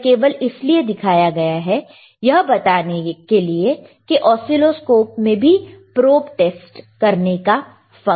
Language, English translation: Hindi, iIt is just to show that this also oscilloscopes also has the also oscilloscope also has the function for testing the probe, all right